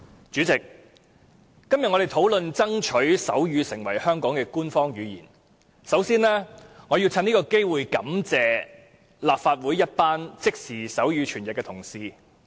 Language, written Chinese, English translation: Cantonese, 主席，我們今天討論爭取手語成為香港的官方語言，首先，我要藉此機會感謝立法會一群負責即時手語傳譯的同事。, President our discussion today is about striving to make sign language an official language of Hong Kong . First of all I need to take this opportunity to express my gratitude towards a group of colleagues in charge of sign language interpretation in the Legislative Council